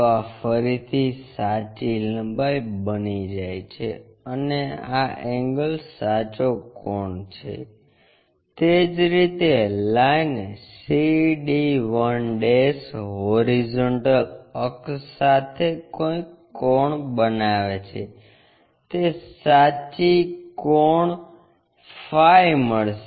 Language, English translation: Gujarati, So, this again becomes true length and this angle is the true angle similarly the line c d 1' with horizontal axis whatever angle its making true angle phi we will find